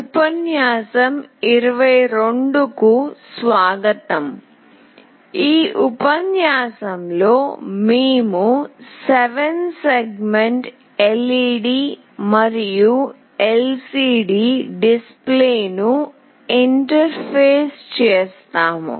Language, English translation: Telugu, Welcome to lecture 22, in this lecture we will be interfacing 7 segment LED and LCD displays